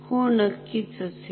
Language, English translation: Marathi, Yes, of course